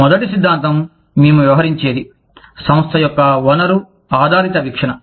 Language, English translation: Telugu, The first theory, that we will be talking about, is the resource based view of the firm